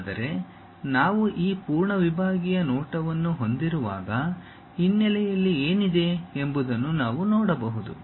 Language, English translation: Kannada, But, when we have this full sectional view, we can really see what is there at background also